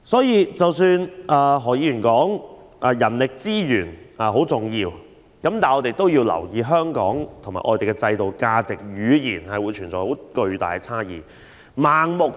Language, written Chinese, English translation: Cantonese, 因此，即使何議員說人力資源很重要，也要留意香港和外地在制度、價值、語言上存在的巨大差異。, Therefore although Mr HO maintains that manpower resources are very important attention should be given to the huge discrepancies between Hong Kong and overseas places in respect of our systems values and languages